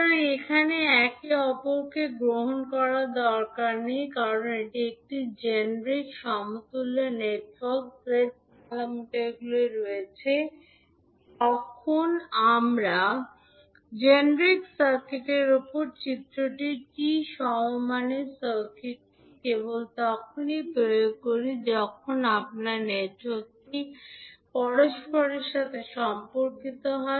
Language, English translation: Bengali, So, here it need not to be reciprocal because this is a generic equivalent network having Z parameters, while the figure which we saw above the generic circuit is T equivalent circuit which is only applicable when your network is reciprocal